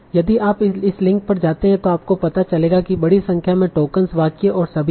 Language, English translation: Hindi, So if you go to this link you will find out there are huge number of tokens and instances and all